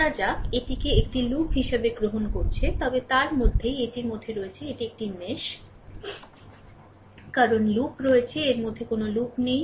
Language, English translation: Bengali, Suppose, we are taking it as a loop, but within that within that; this is this is a mesh because there is loop, there is no loop within that right